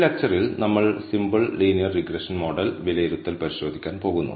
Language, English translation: Malayalam, In this lecture, we are going to look at simple linear regression model assessment